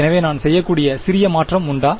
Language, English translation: Tamil, So, is there a small change I could do